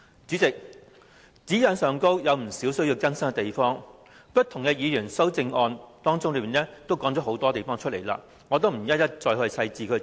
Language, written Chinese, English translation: Cantonese, 主席，《規劃標準》有不少需要更改的地方，各位議員提出的修正案已經提及有關詳情，我不再詳細複述。, President many changes have to be made to HKPSG . As Members have mentioned the details in their amendments I will not repeat them in detail